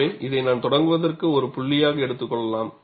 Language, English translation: Tamil, So, I could take this as a point, to start with